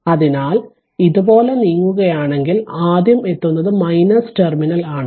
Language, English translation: Malayalam, So, if your moving like this you are encountering minus terminal first